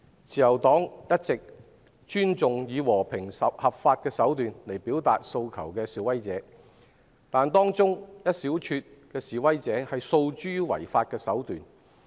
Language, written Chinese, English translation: Cantonese, 自由黨一直尊重以和平、合法手段表達訴求的示威者，但可惜的是，示威者當中有一小撮訴諸違法手段。, The Liberal Party has always respected protesters who express their demands by peaceful and legal means . Unfortunately however a small number of them have resorted to illegal means